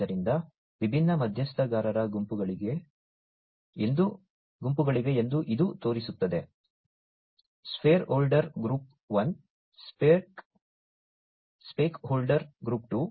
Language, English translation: Kannada, So, this shows that there are different stakeholder groups stakeholder group 1, stakeholder group 2